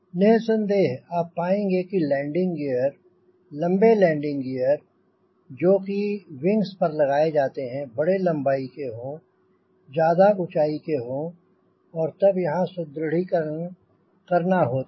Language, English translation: Hindi, so in variably you will find the landing gears, long landing gears which are installed in the wing there, of larger length, larger height, and then this calls for reinforcement here, reinforcement here